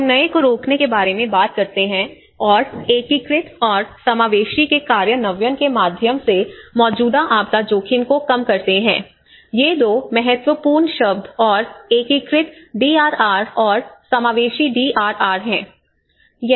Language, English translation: Hindi, And the goal, we talk about the prevent new and reduce existing disaster risk through the implementation of integrated and inclusive these are the two important words and integrated DRR and inclusive DRR